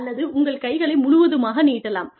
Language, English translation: Tamil, And or, you could stretch your arms, completely